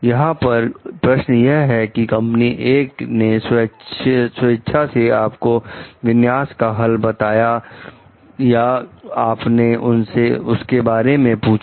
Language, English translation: Hindi, For example, does it matter whether company A volunteer did configuration solution to you or you ask for it